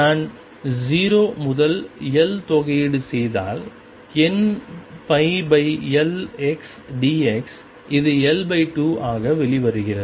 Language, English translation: Tamil, If I integrate from 0 to L sin square n pi over L x d x this comes out to be L by 2